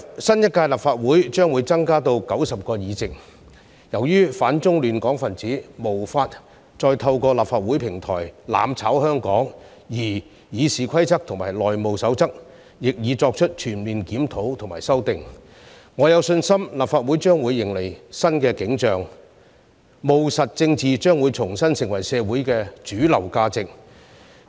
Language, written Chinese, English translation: Cantonese, 新一屆立法會將會增加至90個議席，由於反中亂港分子無法再透過立法會平台"攬炒"香港，而《議事規則》和《內務守則》亦已作出全面檢討和修訂，我有信心立法會將會迎來新景象，務實政治將重新成為社會的主流價值。, The number of seats in the new Legislative Council will be increased to 90 . Since anti - China elements which have disrupted Hong Kong can no longer tamper with Hong Kong through the Legislative Council platform and the Rules of Procedure and the House Rules have been comprehensively reviewed and amended I am confident that the Legislative Council will see a brand new picture and pragmatic politics will become the mainstream value of society again